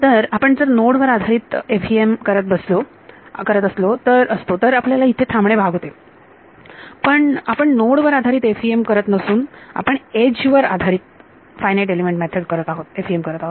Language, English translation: Marathi, So, if we were doing node based FEM we would stop here, but we are not doing a node based we are doing an edge base FEM